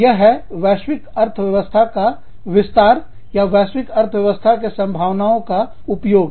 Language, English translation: Hindi, So, that is expansion of the global economy, or, exploitation of the global economy of scope